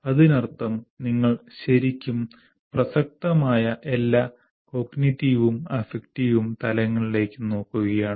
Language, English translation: Malayalam, That means you are not selective, you are really looking at all the relevant cognitive and affective levels